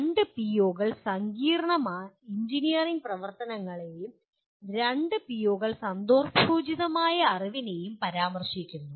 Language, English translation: Malayalam, Two POs mention complex engineering activities and two POs mention contextual knowledge